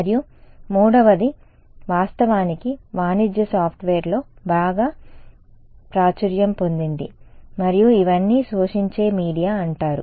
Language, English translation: Telugu, And, the third which is actually very popular in commercial software and all these are called absorbing media ok